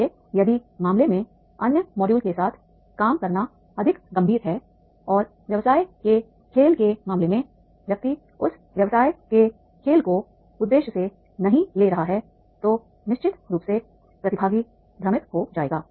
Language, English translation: Hindi, So therefore in the case if the dealing with the other modules is more serious and in the case of the business game the person is not taking that business game with the purpose then definitely the participants will get confused